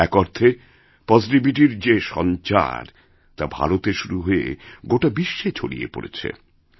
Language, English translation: Bengali, In a way, a wave of positivity which emanated from India spread all over the world